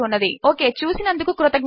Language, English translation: Telugu, Okay thanks for watching